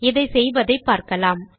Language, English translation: Tamil, So let us learn how to do this